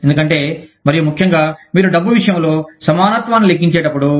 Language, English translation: Telugu, Because, the and especially, when you are calculating parity, in terms of money